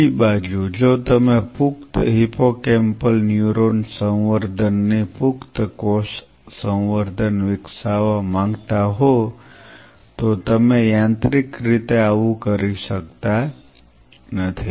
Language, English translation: Gujarati, On the other hand if you want to develop an adult cell culture of adult hippocampal neuron culture you cannot do so by mechanically